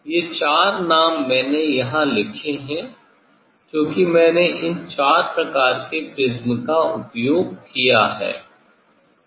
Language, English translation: Hindi, these four names I have written here because I have used these four types of prism